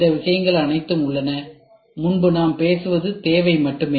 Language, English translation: Tamil, All these things are there whatever earlier we were talking about is only need